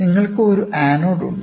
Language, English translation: Malayalam, So, you have an anode